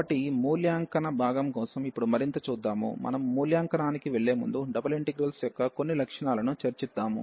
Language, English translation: Telugu, So, coming further now for the evaluation part, before we go to the evaluation let us discuss some properties of the double integrals